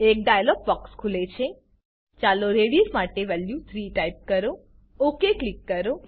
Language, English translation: Gujarati, A dialogue box opens Lets type value 3 for radius Click OK